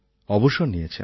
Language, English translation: Bengali, Then he retired